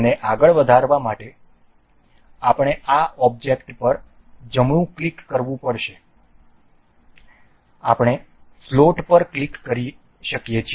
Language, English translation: Gujarati, To keep it to make this move we have to right click this the object, we earned we can click on float